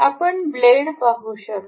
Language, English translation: Marathi, You can see the blades